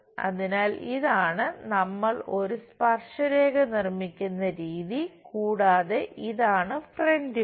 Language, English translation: Malayalam, So, this is the way we construct a tangent and this is front view